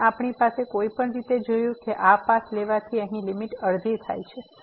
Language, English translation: Gujarati, And we have any way seen here by taking this path the limit is half